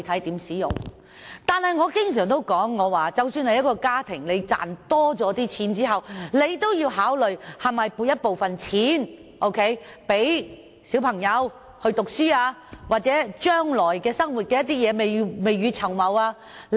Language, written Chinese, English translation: Cantonese, 但是，我經常說，即使是一個家庭多賺了錢，也要考慮是否存下部分錢給小孩讀書或將來之用，要未雨綢繆。, However I often say that even a family having earned some extra money has to consider whether or not to save part of the money for the childrens schooling or future use for the sake of keeping money for a rainy day